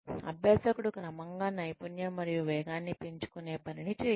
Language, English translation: Telugu, Have the learner, do the job gradually, building up skill and speed